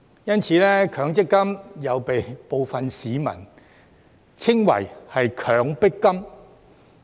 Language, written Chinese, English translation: Cantonese, 因此，強積金又被部分市民稱為"強迫金"。, For that reason MPF is also called a coercive fund by some members of the public